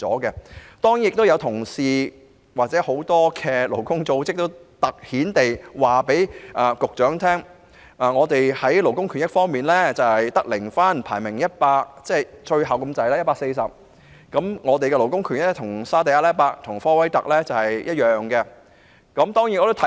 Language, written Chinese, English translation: Cantonese, 此外，亦有同事或勞工組織向局長強調，本港在勞工權益方面只得零分、排名 140， 與沙地阿拉伯及科威特同樣位列榜末。, In addition some colleagues or labour groups have highlighted to the Secretary that Hong Kong scoring zero in respect of labour rights and interests ranked last at 140 alongside Saudi Arabia and Kuwait